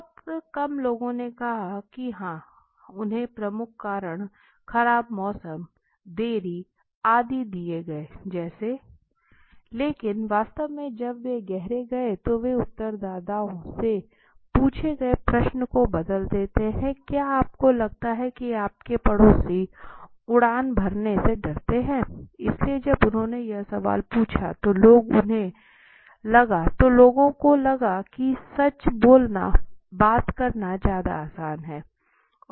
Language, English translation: Hindi, Very few said yes right the major reasons they were given was like cost bad weather and delay etc but actually when they found when they went deep they change the question they ask the respondents do you think your neighbors is afraid to fly so when they did it when they ask this question people were more you know they feel it is more easier to talk to tell a truth